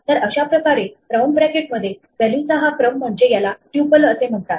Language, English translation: Marathi, So, this kind of a sequence of values with the round bracket is called a Tuple